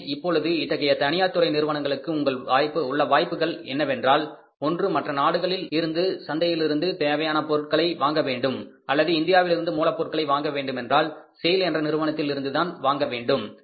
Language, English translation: Tamil, So, now the option with these private sector companies is that either they can import the raw material from the other countries markets or they have to buy the raw material from India, they have to buy it from sale